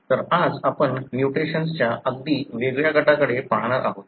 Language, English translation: Marathi, So, today we are going to look into a very different group of mutation